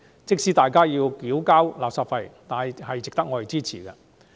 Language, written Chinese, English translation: Cantonese, 即使大家要繳交垃圾費，也應支持該法案。, Even if we have to pay the waste levy we should still support the Bill